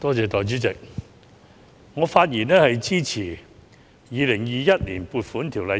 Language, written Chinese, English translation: Cantonese, 代理主席，我發言支持通過二讀《2021年撥款條例草案》。, Deputy President I speak in support of the passage of the Second Reading of the Appropriation Bill 2021